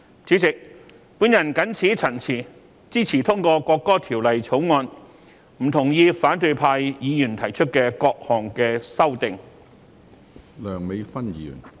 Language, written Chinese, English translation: Cantonese, 主席，我謹此陳辭，支持通過《條例草案》，不同意反對派議員提出的各項修正案。, President with these remarks I support the Bill and oppose all the amendments proposed by opposition Members